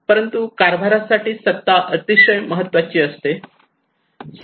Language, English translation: Marathi, But for the governance power is very important